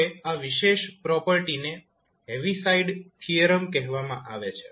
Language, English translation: Gujarati, Now, this particular property is called the ‘Heaviside Theorem’